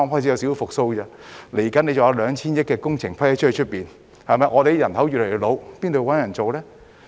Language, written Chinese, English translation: Cantonese, 接下來還有 2,000 億元工程批出，而我們的人口越來越老，如何找人工作呢？, Given that projects worth 200 billion will be rolled out soon but our population is ageing how can we find workers?